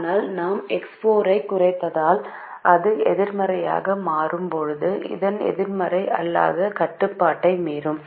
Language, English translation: Tamil, but if we decrease x four, x four will become negative, which will violate the non negativity restriction which is here